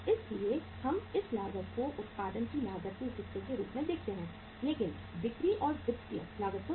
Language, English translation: Hindi, So we account this cost as the part of the cost of production but not the selling and the financial cost